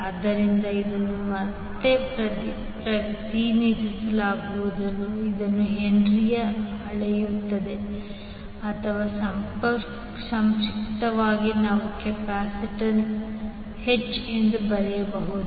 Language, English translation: Kannada, So this will again be represented it will be measured in Henry’s or in short you can write as capital H